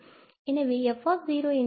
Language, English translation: Tamil, So, what is f here